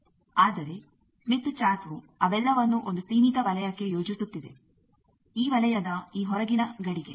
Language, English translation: Kannada, But that whole thing smith chart is plotting into a finite zone, this outer boundary of this circle